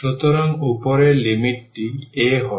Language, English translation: Bengali, So, r the upper limit is a